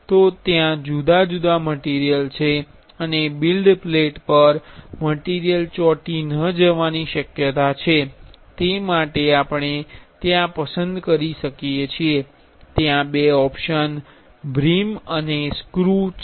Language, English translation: Gujarati, So, since they are different material and there is a chance for note adhering the material on the build plate for that we can choose there are two options brim and rough